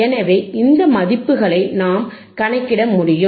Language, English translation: Tamil, So, thisese values we can calculate, and